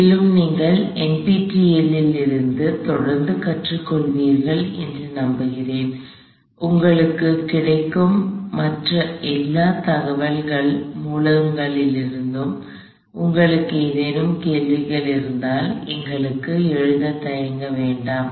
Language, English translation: Tamil, And I hope you continue to learn from NPTEL and from all the other sources of information that are available to you, feel free to write to us if you have any questions